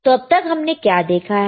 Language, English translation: Hindi, So, what we have seen